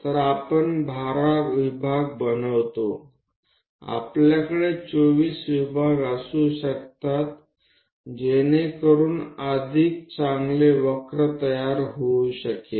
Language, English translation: Marathi, So, we make 12 divisions, we can have 24 divisions and so on so that a better curve can be tracked